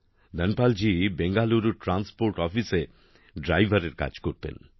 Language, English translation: Bengali, Dhanapal ji used to work as a driver in the Transport Office of Bangalore